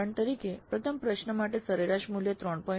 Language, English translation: Gujarati, Like for example for the first question the average value was 3